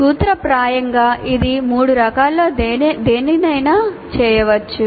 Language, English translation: Telugu, In principle, it can be done by any of the three varieties